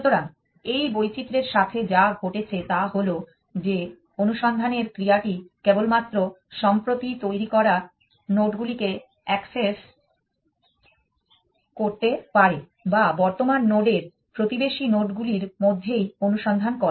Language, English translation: Bengali, So, what is happened with this variation is that the search has access only to the latest nodes that have been generated only to the neighbors of the current node it is infect